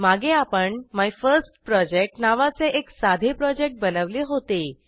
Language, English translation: Marathi, Earlier we had created a simple Project named MyFirstProject